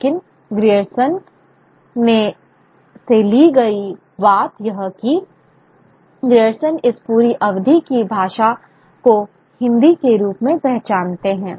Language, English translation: Hindi, But the point taken from Grierson is that what Grierston identifies this entire span of languages as Hindi as it would be